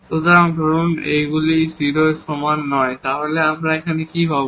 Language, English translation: Bengali, So, suppose this s is not equal to 0 then what do we get here